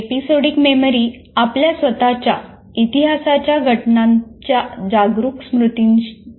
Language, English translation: Marathi, Episodic memory refers to the conscious memory of events in our own history